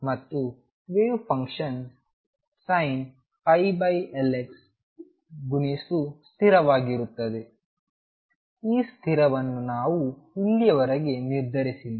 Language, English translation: Kannada, And the wave function is going to be sin pi over L x times a constant a which we have not determined so far